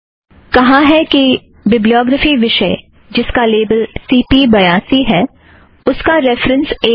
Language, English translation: Hindi, This says that the bibliography item with the label cp82 is reference 1